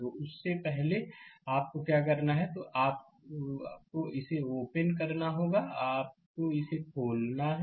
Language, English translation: Hindi, So, first what you have to do is, you have to open this one; you have to open this right